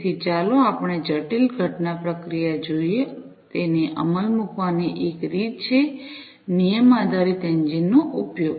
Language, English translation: Gujarati, So, let us look at the complex event processing, one of the ways to implement it is using rule based engine